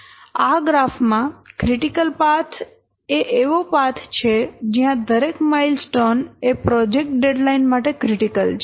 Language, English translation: Gujarati, A critical path is a path along which every milestone is very much critical to meeting the project deadline